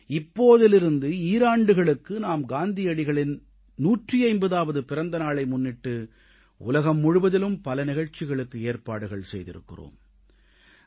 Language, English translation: Tamil, For two years from now on, we are going to organise various programmes throughout the world on the 150th birth anniversary of Mahatma Gandhi